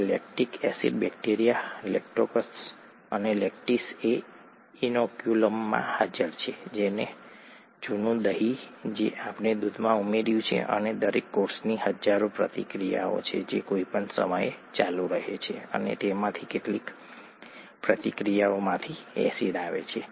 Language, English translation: Gujarati, This lactic acid bacteria Lactococcus lactis is what was present in the inoculum, the old curd that we added to the milk and each cell has thousands of reactions that go on at any given time, and from some of those reactions, acid comes